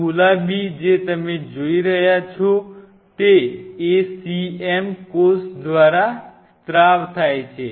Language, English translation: Gujarati, These pink what you are seeing are the ACM secreted by the cell